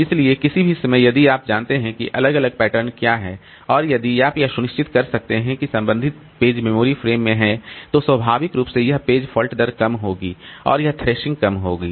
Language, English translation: Hindi, So, at any point of time, if you know what is the referencing pattern and if you can ensure that the corresponding pages are there in the memory frames, then naturally this page fault rate will be low and this thrashing will be less